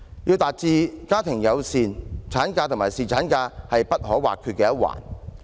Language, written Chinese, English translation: Cantonese, 要達致家庭友善，產假與侍產假都不可或缺。, Both maternity leave and paternity leave are essential to a family - friendly community